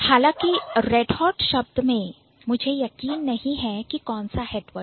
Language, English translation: Hindi, However, in Red Hot I'm not sure which one is the head word